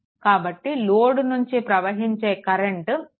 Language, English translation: Telugu, So, actually current flowing to this is 2